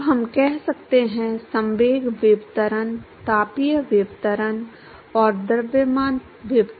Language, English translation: Hindi, Now let us say momentum diffusivity thermal diffusivity and mass diffusivity